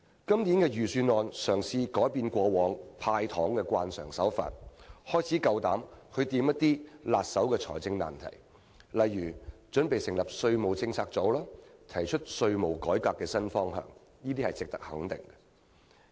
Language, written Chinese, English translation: Cantonese, 今年的預算案嘗試改變過往"派糖"的慣常手法，開始敢於觸碰一些棘手的財政難題，例如準備成立稅務政策組，提出稅務改革的新方向，這些都是值得肯定的做法。, As we can see from this years Budget the Financial Secretary is trying to break away from the usual practice of handing out candies in the past and starting to tackle some thorny fiscal issues for example the plan to set up a tax policy unit to explore a new direction on tax reform . All these practices are worthy of recognition